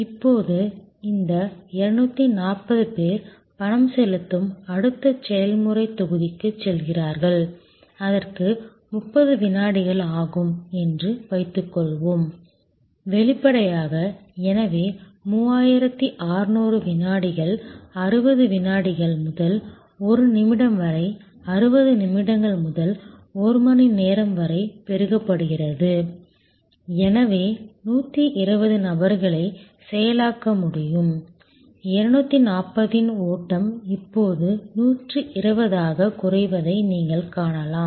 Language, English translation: Tamil, Now, these 240 people then go to the next process block which is making payment, suppose that takes 30 second; obviously, therefore, 3600 seconds 60 seconds to a minute multiplied by 60 minutes to an hour, so 120 people can be processed, you can see that a flow of 240 now drop to 120